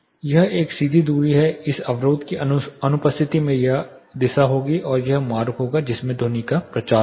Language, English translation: Hindi, This is a straight distance in the absence of this barrier this will be the direction and this will be the path in which the sound would have propagated